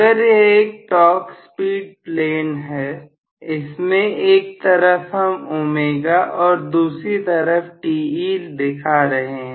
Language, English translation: Hindi, If this is the torque speed plane on one side I am showing omega on other side I am showing Te